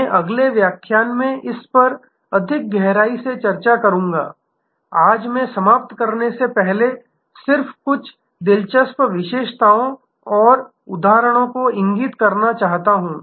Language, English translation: Hindi, I will discuss this in greater depth in the next lecture, today I want to just point out before I conclude few interesting characteristics and examples